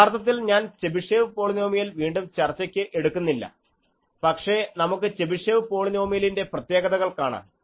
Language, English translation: Malayalam, Now, Chebyshev polynomials have a very nice property actually, I am not again discussing Chebyshev polynomial, but we can see the properties of Chebyshev polynomial